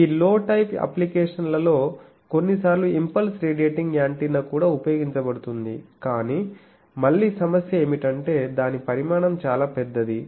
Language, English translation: Telugu, Impulse radiating antenna also sometimes for this low type applications may be used, but again the problem is that it size is quite big